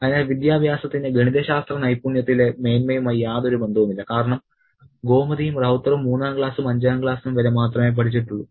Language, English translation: Malayalam, So, education has no connection to superiority in mathematical skills because both Gomati and Ravta have studied only up to third grade and fifth grade